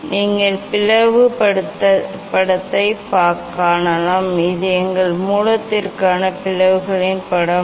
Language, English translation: Tamil, you can see the image of the slit; this is the image of the slit for our source